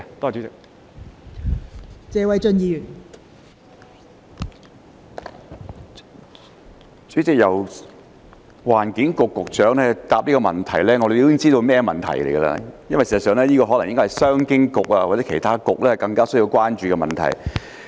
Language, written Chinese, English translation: Cantonese, 代理主席，由環境局局長負責回答這項質詢，我們已經知道有甚麼問題，因為事實上，商務及經濟發展局或其他局應該更需要關注這問題。, Deputy President we should have known what the problem is when the Secretary for the Environment is designated to answer this question . In fact the Commerce and Economic Development Bureau or other Policy Bureaux should be more concerned about this issue